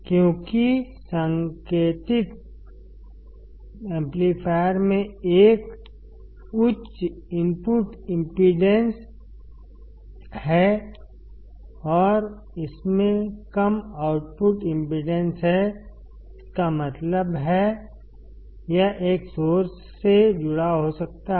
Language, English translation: Hindi, Because the indicated amplifier has a high input impedance and it has low output impedance; that means, it can be connected to a source